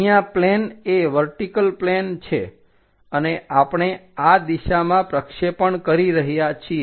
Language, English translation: Gujarati, Here the plane is a vertical plane and what we are projecting is in this direction we are projecting